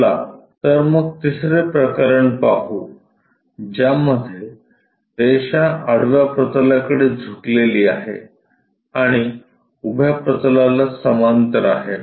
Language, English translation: Marathi, Let us look at a third case where a line is inclined to horizontal plane and it is parallel to vertical plane